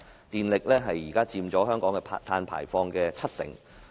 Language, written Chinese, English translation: Cantonese, 電力現時佔香港碳排放的七成。, Electricity now takes up 70 % of carbon emission in Hong Kong